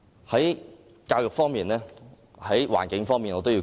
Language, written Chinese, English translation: Cantonese, 我也要說說環境方面的事宜。, I need to talk about the environmental matters too